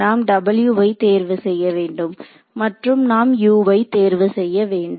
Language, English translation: Tamil, We have to choose w’s and we have to choose u’s correct